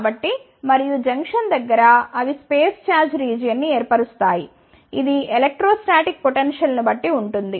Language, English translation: Telugu, So, and so, the nearest ah junction they forms a space charge region, which based the electrostatic potential